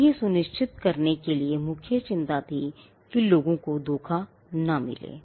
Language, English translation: Hindi, Now, the main concern was to ensure that, people do not get defrauded